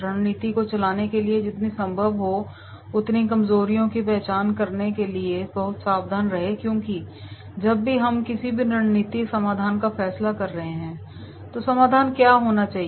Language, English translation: Hindi, Be very careful to identify as many weaknesses as possible as they drive strategy because whenever we are deciding any strategy, solution, what should be the solution